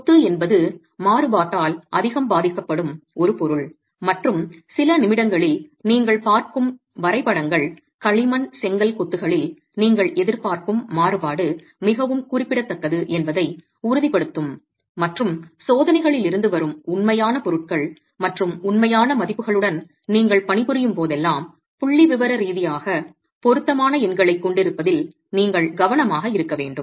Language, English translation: Tamil, Masonry is a material that is highly affected by variability and the graphs that you will see in a few minutes will convince you that the kind of variability that you will expect in clay brick masonry is far significant and you should be careful about having statistically relevant numbers whenever you are working with actual materials and actual values coming from tests